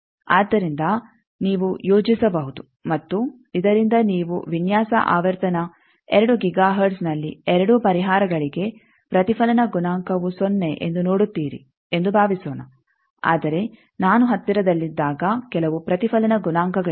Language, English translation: Kannada, So, you can plot and from this you can see that the suppose I fix that my tolerable you see at design frequency 2 giga hertz the reflection coefficient is 0 for both the solution, but when I am nearby there are some reflection coefficients